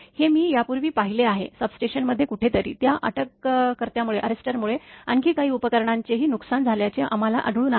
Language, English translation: Marathi, This I have seen in the past, somewhere in the substation we found due to that due to that arrester failure some other equipment also got damaged